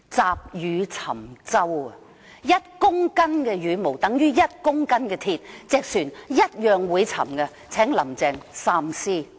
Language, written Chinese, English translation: Cantonese, 積羽沉舟，一公斤的羽毛等於一公斤的鐵，船同樣會沉，請"林鄭"三思。, A load of feathers which is heavy enough can likewise sink a boat because 1 kg of feathers is as heavy as 1 kg of iron . The boat will still sink . I urge Carrie LAM to think twice